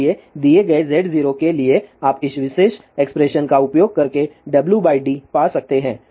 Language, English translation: Hindi, So, for a given Z 0, you can find W by d by using this particular expression